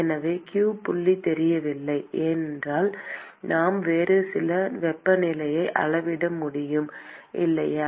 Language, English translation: Tamil, So, if q dot is not known, then we should be able to measure some other temperature, right